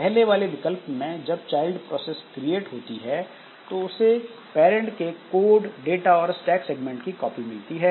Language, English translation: Hindi, So when the child process is created, so maybe you can say that it gets a copy of this code data and stack segments